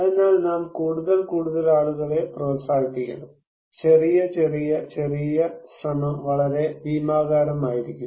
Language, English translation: Malayalam, So we should encourage more and more people and small, small, small effort could be very gigantic